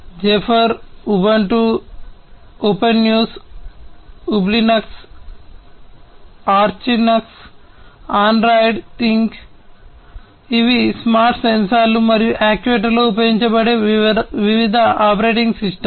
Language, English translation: Telugu, Zephyr, Ubuntu, Opensuse Ublinux, Archlinux, Androidthing, these are some of the different operating systems that are used in the smart sensors and actuators